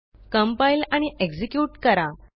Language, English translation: Marathi, Let us compile and execute